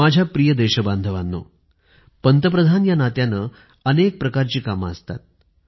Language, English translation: Marathi, My dear countrymen, as Prime Minister, there are numerous tasks to be handled